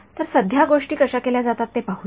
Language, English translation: Marathi, So, let us look at how things are done currently